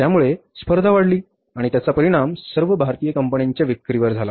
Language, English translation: Marathi, So, the competition has gone up and it has affected the sales of all the Indian companies